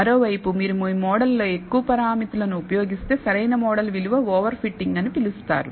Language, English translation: Telugu, On the other hand, if you use more parameters in your model, than the optimal model value is called over fitting